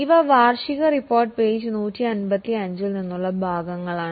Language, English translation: Malayalam, These are excerpt from the annual report page 155